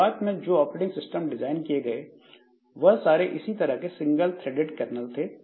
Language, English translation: Hindi, Now, initial operating systems that were designed, so they were of this nature, single threaded kernel